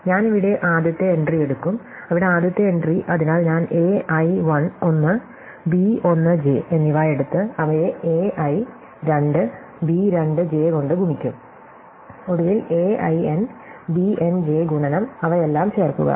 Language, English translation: Malayalam, So, I will take the first entry here, the first entry there, so I will take A i 1 and B 1 j, multiply them A i 2 B 2 j multiply them, finally A i n B n j multiply add them all